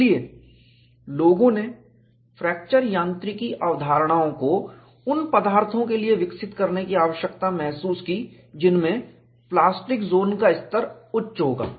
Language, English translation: Hindi, So, people felt the need for developing fracture mechanics concepts to materials, which would have a higher level of plastic zone